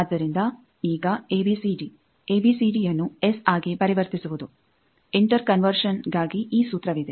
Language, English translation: Kannada, So, now this conversion of ABCD, ABCD to S this formula is there for inter conversion